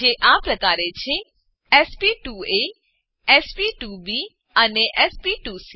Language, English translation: Gujarati, They are named sp2a, sp2b and sp2c